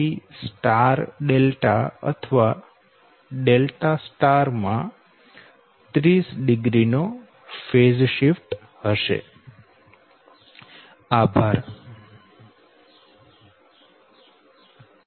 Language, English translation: Gujarati, that means for star delta or delta star, there will be phase shift of thirty degree